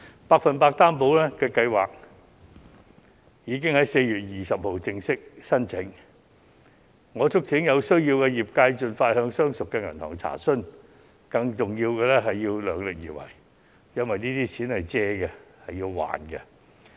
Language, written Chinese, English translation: Cantonese, "百分百擔保"計劃已在4月20日正式接受申請，我促請有需要的公司盡快向相熟銀行查詢，更重要的是要量力而為，因為這些錢是借貸得來，需要償還。, The 100 % Loan Guarantee has been opened for application since 20 April . Companies in need are advised to ask their familiar banks for details but most important of all they should not over borrow as repayment of loans is required